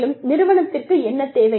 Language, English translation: Tamil, And, what is required by the organization